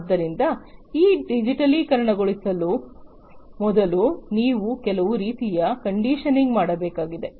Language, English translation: Kannada, So, before you digitize you need to do some kind of conditioning